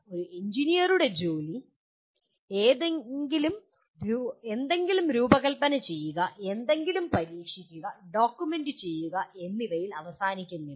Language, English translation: Malayalam, An engineer’s work does not end with designing something, testing something and documenting it